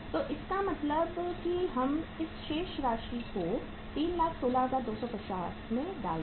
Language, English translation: Hindi, So it means let us put this balance here 3,16,250